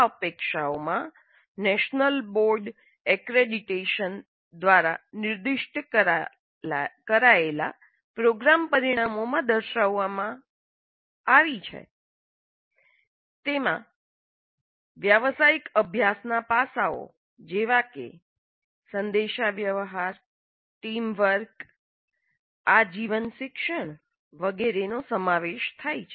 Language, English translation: Gujarati, These expectations as captured in the program outcomes specified by the National Board of Accretation include aspects of professional practice like communication, teamwork, life learning, lifelong learning, etc